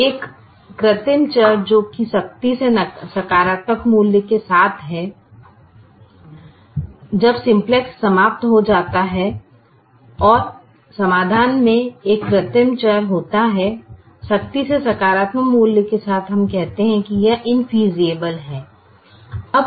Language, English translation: Hindi, there is an artificial variable with a strictly positive value when simplex terminates and there is an artificial variable in the solution which strictly positive value, we say that it is invisible